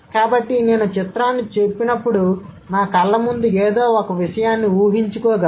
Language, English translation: Telugu, So, when I say picture, I can actually visualize something before my eyes, right